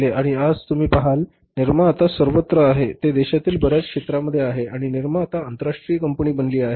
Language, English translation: Marathi, Nirm is everywhere now they are into the almost many sectors of the country and Nirm has become the international company now